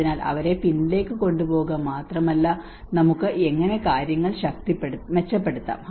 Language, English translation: Malayalam, So it is not just only taking them to the back but how we can improve things better